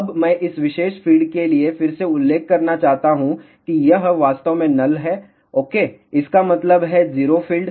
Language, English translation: Hindi, Now, I just want to mention again for this particular feed this is actually null ok; that means, 0 field